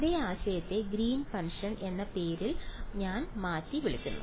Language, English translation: Malayalam, Same idea is being called by a different name is called Green’s function